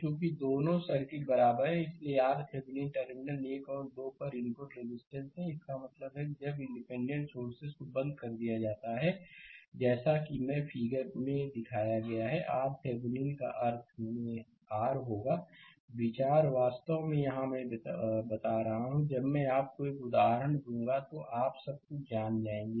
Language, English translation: Hindi, Since the 2 circuits are equivalent, hence R Thevenin is the input resistance at the terminal 1 and 2 right; that means, when the independent sources are turned off as shown in figure this R Thevenin will be R in that means, idea actually here I am telling when I will give you an example, you will be knowing everything